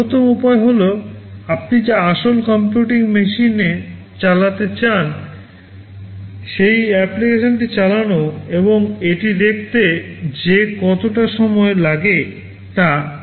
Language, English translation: Bengali, The best way is to run the application you want to run on a real computing machine and see how much time it takes